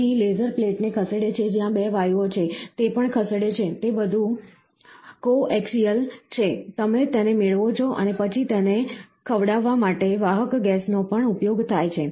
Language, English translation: Gujarati, So, here, what happens the laser moves the plate, where the 2 gases are there, that also moves so, it is all coaxial, you get it, and then the carrier gas is also used to feed it